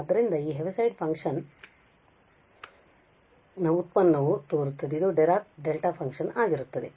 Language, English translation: Kannada, So, the derivative of this Heaviside function seems to be this Dirac Delta function